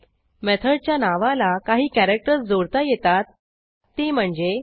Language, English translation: Marathi, Some of the characters that can be appended to a method name are: